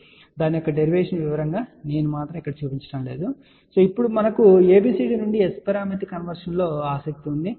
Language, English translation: Telugu, So, I am not actually showing you the detailed derivation of that but what we are interested now, is ABCD to S parameter conversion